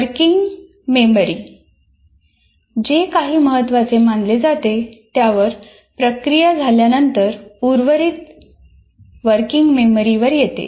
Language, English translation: Marathi, That means after it is processed out, whatever that is considered important, it comes to the working memory